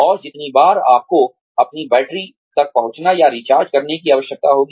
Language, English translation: Hindi, And, the number of times, you will need to reach, or can recharge your batteries